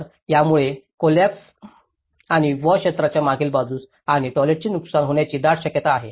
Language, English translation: Marathi, So, there is a great possibility that this may also collapse and the wash areas has been damaged behind and the toilets